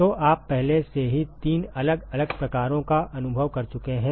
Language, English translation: Hindi, So you already experienced three different types